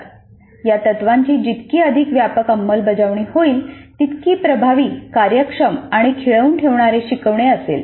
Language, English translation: Marathi, That means the more extensive the implementation of these principles, the more effective, efficient and engaging will be the instruction